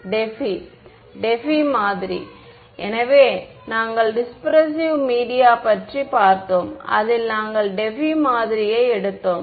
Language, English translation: Tamil, Debye Debye model right; so, we looked at dispersive media and in that we took the Debye model right